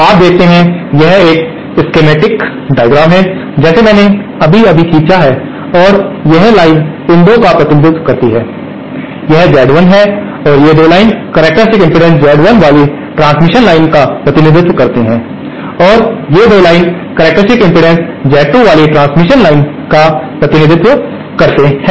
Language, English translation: Hindi, You see, this is a schematic diagram that I have just drawn and this line represents these 2, this is Z1 and these 2 lines represent the transmission lines having characteristic impedance Z1 and these 2 lines represent the transmission lines having characteristic impedance Z2